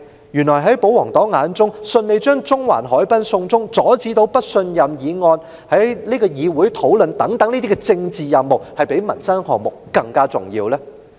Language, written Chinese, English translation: Cantonese, 抑或在保皇黨眼中，順利把中環海濱"送中"及阻止不信任議案在議會上討論等政治任務，是較民生項目更為重要的呢？, Or in the eyes of the royalists are political missions such as surrendering the Central promenade to China smoothly and hindering the debate of the no confidence motion by this Council more important than livelihood - related projects?